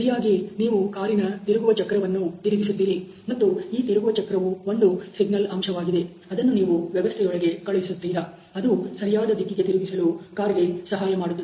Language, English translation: Kannada, So obviously, you will turn this steering wheel, and the steering wheel is basically this signal factor which you are sending into the system, which is creating the car or which is enabling the car to take a right turns